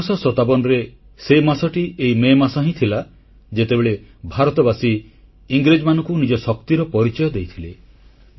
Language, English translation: Odia, This was the very month, the month of May 1857, when Indians had displayed their strength against the British